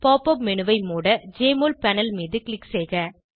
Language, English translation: Tamil, Click on the Jmol panel to exit the Pop up menu